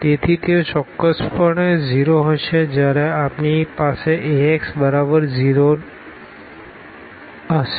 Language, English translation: Gujarati, So, they will be definitely 0 when we have Ax is equal to 0